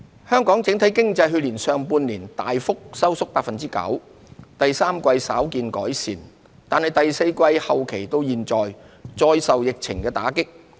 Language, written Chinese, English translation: Cantonese, 香港整體經濟去年上半年大幅收縮 9%， 第三季稍見改善，但第四季後期至今再受疫情打擊。, Hong Kongs overall economy contracted substantially by 9 % in the first half of last year . While a slight improvement was seen in the third quarter it has been hit again by the epidemic since the latter part of the fourth quarter